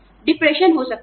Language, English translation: Hindi, There could be depression